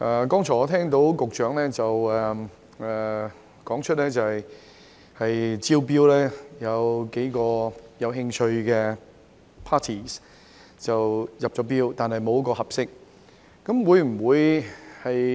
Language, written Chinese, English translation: Cantonese, 剛才我聽到局長表示，招標有數個有興趣的 parties 入標，但沒有一個合適。, Just now I heard the Secretary say that tenders from several interested parties were received but none of them were suitable